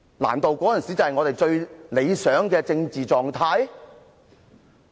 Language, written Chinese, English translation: Cantonese, 難道那時才是我們最理想的政治狀態？, Could it be that the political situation back then is considered ideal?